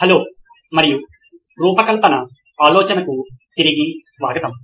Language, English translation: Telugu, Hello and welcome back to design thinking